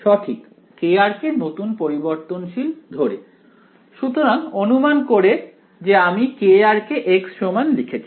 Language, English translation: Bengali, Put k r as a new variable right; so supposing I have put k r is equal to x ok